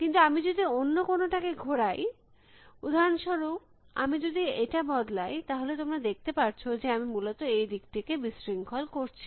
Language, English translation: Bengali, But, if I move anything else for example, if I make this change then you can see that I am disturbing this faces essentially